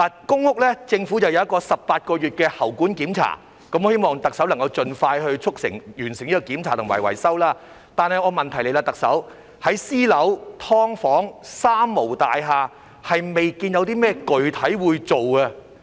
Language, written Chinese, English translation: Cantonese, 公屋方面，政府正推行為期18個月的排水管檢查計劃，我希望特首能夠盡快促成和完成這檢查及維修，但問題來了，特首，在私樓、"劏房"、"三無"大廈未見到有甚麼具體工作會進行。, In respect of public rental housing the Government is implementing an 18 - month Drainage Inspection Programme . I hope that the Chief Executive can expeditiously implement and complete such inspection and repair but here comes a problem . Chief Executive I have not seen any specific work being carried out in private buildings subdivided units or three - nil buildings